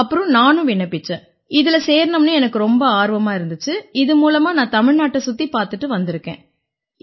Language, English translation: Tamil, So after that I applied and when I applied, I was excited to join it, but after traveling from there to Tamil Nadu, and back …